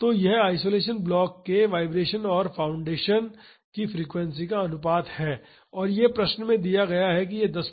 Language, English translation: Hindi, So, that is the ratio of the vibration of the isolation block to the vibration of the foundation and it is given in the question that, that should be 10 percent that is 0